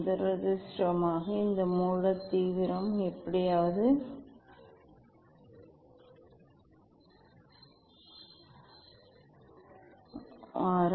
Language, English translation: Tamil, unfortunately, this source intensity is somehow is very week